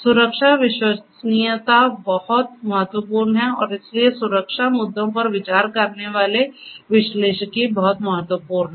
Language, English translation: Hindi, So, safety reliability and so on are very very important and so, analytics considering safety issues are very important